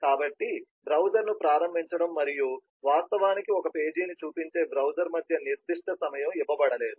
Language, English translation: Telugu, so there is no specific time given between launching of the browser and the browser actually showing a page